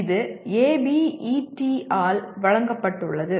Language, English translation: Tamil, This is as given by ABET